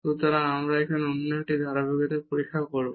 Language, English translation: Bengali, So, we will check now the continuity of the other